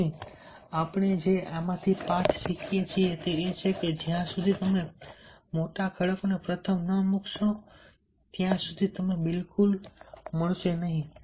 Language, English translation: Gujarati, the lesson you will learn from here: that unless you put the big rocks first, you wont get them in at all